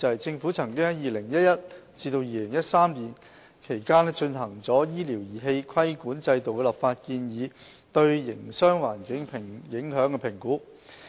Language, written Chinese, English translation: Cantonese, 政府曾於2011年至2013年期間進行了醫療儀器規管制度的立法建議對營商環境的影響評估。, The Government conducted a Business Impact Assessment between 2011 and 2013 to assess the impact of the proposed statutory regulatory regime for medical devices on the trade